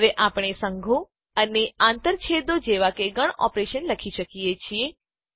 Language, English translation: Gujarati, Now we can write set operations such as unions and intersections